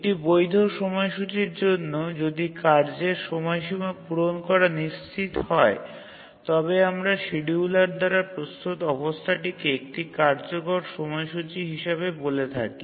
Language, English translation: Bengali, So, for a valid schedule, if the task deadlines are also ensued to be met then we call the schedule prepared by the scheduler as a feasible schedule